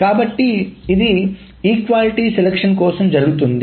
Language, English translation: Telugu, So this is for the equality selection